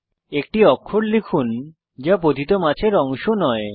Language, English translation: Bengali, Now lets type a character that is not part of a falling fish